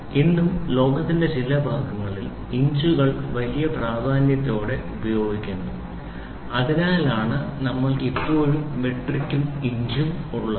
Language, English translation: Malayalam, Even today inches are used in big weight in some part of the world so, that is why we still have both metric and inches